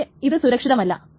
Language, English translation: Malayalam, This is unsafe